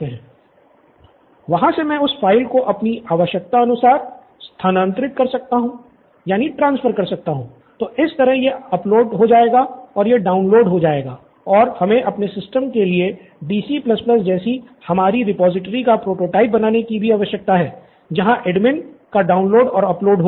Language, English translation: Hindi, From there I can move that file into the required, into my required, so this would be upload and this would be download, we also need to create the prototype for our system like DC++ our repository where the download and uploads of the admin would be